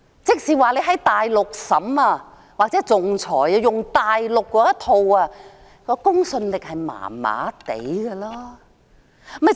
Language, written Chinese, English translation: Cantonese, 即是說，如果在大陸進行審議或仲裁，套用大陸的法律，公信力便是一般的。, In other words trials and arbitrations conducted in the Mainland under Mainland laws would be of dubious credibility